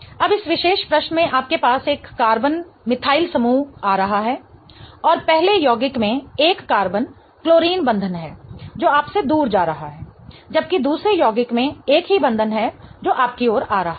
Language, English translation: Hindi, Now, in this particular question you have a carbon methyl group coming towards you and the first compound has a carbon chlorine bond going away from you whereas the second compound has the same bond coming towards you